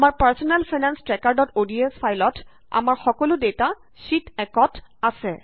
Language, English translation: Assamese, In our Personal Finance Tracker.ods file, our entire data is on Sheet 1